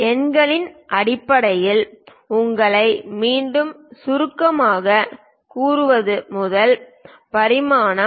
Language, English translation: Tamil, First one to summarize you again in terms of numerics; dimension